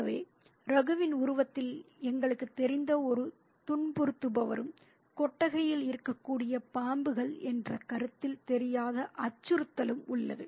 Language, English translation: Tamil, So, we have a known persecutor in the figure of Raghu and an unknown threat in the notion of snakes which are, which could be there in the shed